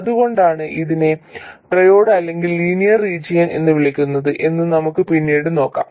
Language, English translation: Malayalam, Later we will see why it's called either triode or linear region